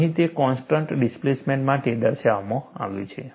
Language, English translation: Gujarati, Here it is shown for constant displacement